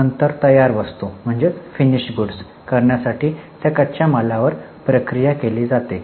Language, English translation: Marathi, Then the raw material is processed to make finished goods